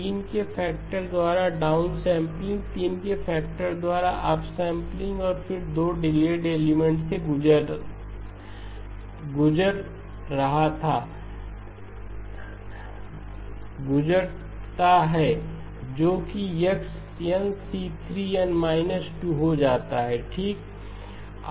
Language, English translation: Hindi, Down sampling by a factor 3, up sampling by a factor of 3 and then passing through 2 delay elements that turns out to be x of n c3 of n minus 2 okay